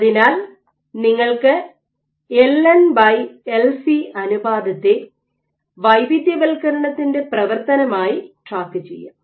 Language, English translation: Malayalam, So, you can track the ratio of LN by LC as a function of differentiation ok